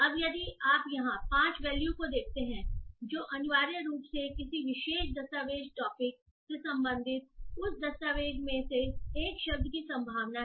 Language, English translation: Hindi, Now if we see here the 5 values which is essentially the probability of a word in that document belonging to a particular topic